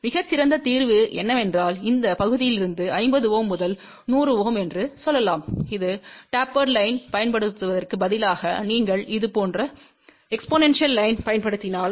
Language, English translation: Tamil, The best possible solution is that from this part which is let us say 50 Ohm to 100 Ohm , instead of using tapered line, if you use exponential line like this and exponential line